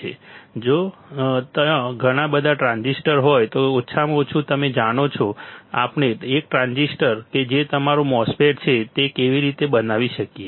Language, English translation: Gujarati, And if there are a lot of transistors at least you know how we can fabricate one transistor, one transistor that is your MOSFET